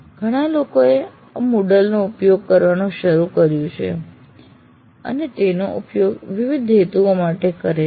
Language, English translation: Gujarati, So many people have started using the model and use it for various purposes